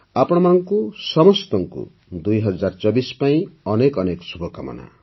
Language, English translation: Odia, Best wishes to all of you for 2024